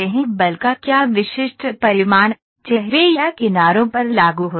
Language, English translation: Hindi, What specific magnitude of force, apply on faces or edges